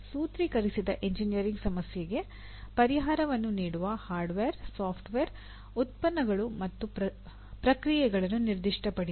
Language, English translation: Kannada, Specify the hardware, software, products and processes that can produce the solution to the formulated engineering problem